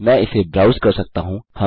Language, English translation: Hindi, I can make it browse